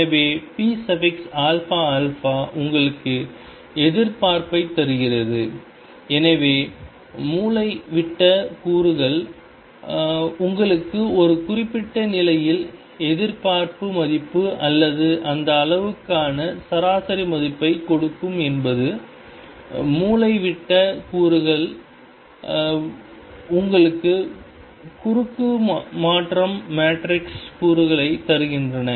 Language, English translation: Tamil, So, p alpha alpha gives you the expectation the; so, diagonal elements give you the expectation value or the average value for that quantity in a given state and of diagonal elements give you cross transition matrix elements